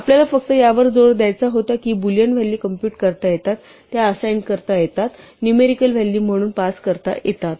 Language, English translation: Marathi, So, we just wanted to emphasise that Boolean values can be computed, assigned, passed around just like numerical values are